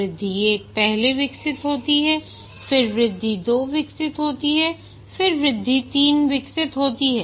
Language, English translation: Hindi, Increment, okay, increment 1 is first developed, then increment 2 is developed, then increment 3 gets developed